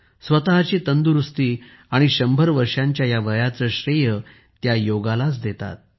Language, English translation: Marathi, She gives credit for her health and this age of 100 years only to yoga